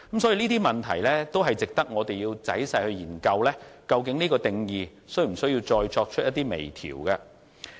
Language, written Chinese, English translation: Cantonese, 所以，這些問題值得我們仔細研究，究竟有關的定義是否需要再作出微調。, So we must carefully study all these problems so as to ascertain whether the existing definition needs any further fine - tuning